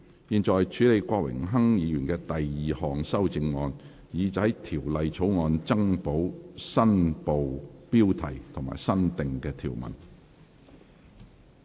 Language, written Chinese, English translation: Cantonese, 現在處理郭榮鏗議員的第二項修正案，以在條例草案增補新部標題及新訂條文。, The committee now deals with Mr Dennis KWOKs second amendment to add the new Part heading and new clause to the Bill